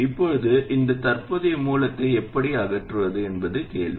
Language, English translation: Tamil, Now the question is how do I get rid of this current source